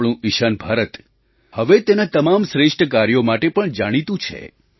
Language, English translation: Gujarati, Now our Northeast is also known for all best deeds